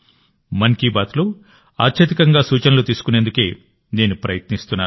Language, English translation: Telugu, My effort will be to include maximum suggestions in 'Mann Ki Baat'